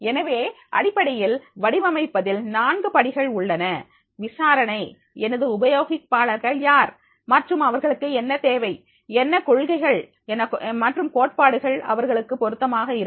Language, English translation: Tamil, So, there are basically the four steps of the designing, the investigation, who are my users and what do they need, what principles and theories are relevant to them